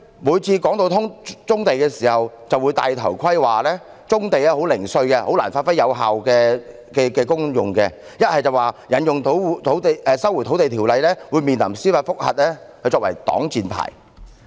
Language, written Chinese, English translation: Cantonese, 每次談到棕地，政府就會"戴頭盔"，說棕地十分零碎，難以發揮有效功用，又或表示引用《收回土地條例》會面臨司法覆核，以此作擋箭牌。, How ridiculous! . Every time we speak on brownfield the Government would act chicken saying that brownfield sites are too fragmentary to produce the desired effect . Or it would resort to the pretext that if it invokes the Lands Resumption Ordinance it would face judicial review